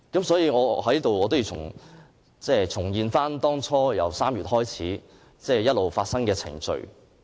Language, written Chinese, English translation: Cantonese, 所以，我在此要重現由3月開始發生的程序。, I hereby give an account of the chronology of the incident since March